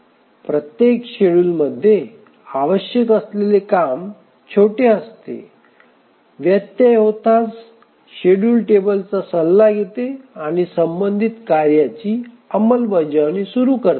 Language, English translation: Marathi, In each schedule the work required is small as soon as the interrupt occurs, just consults the schedule table and start the execution of the corresponding task